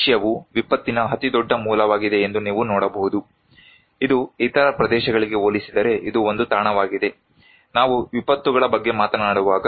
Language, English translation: Kannada, You can see that Asia is one of the biggest source of disaster, it is one of the hotspot compared to any other region, when we are talking about disasters